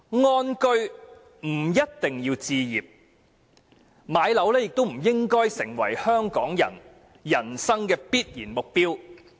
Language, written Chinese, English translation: Cantonese, 安居不一定要置業，置業亦不應成為香港人人生的必然目標。, To live in contentment home ownership is not a prerequisite . Neither should home ownership be a definite goal in life of Hong Kong people